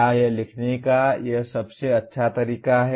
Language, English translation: Hindi, Is this the best way to write this